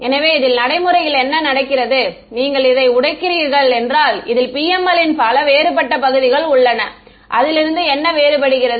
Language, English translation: Tamil, So, this in practice what happens is you break up this there are these many distinct regions of the PML what is distinct about them